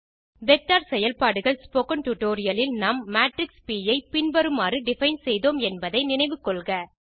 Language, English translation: Tamil, Recall that in the Spoken Tutorial,Vector Operations, we had defined the matrix P as follows